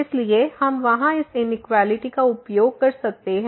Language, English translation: Hindi, So, we can use this inequality there